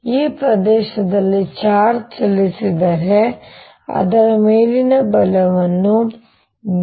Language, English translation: Kannada, if a charge moves in this region, the force on it will be determined by b